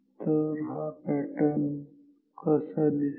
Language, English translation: Marathi, So, how will the pattern look like